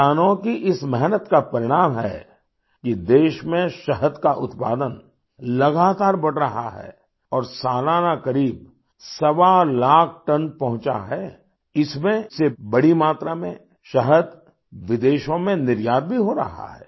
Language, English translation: Hindi, The result of this hard work of the farmers is that the production of honey in the country is continuously increasing, and annually, nearly 1